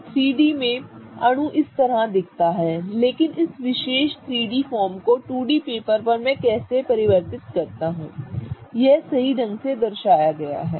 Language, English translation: Hindi, So, in 3D the molecule looks like this but how do I convert this particular 3D form on the 2D paper such that it is correctly represented